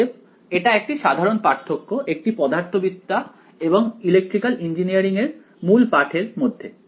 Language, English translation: Bengali, So, this is a common difference between physics text and electrical engineering text